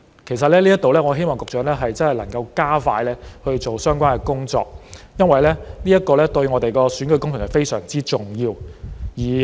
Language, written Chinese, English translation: Cantonese, 其實就這方面，我希望局長真的能夠加快相關的工作，因為這對我們的選舉工程非常重要。, In fact I hope the Secretary can really speed up the relevant work in this regard since it is vital to our electioneering campaign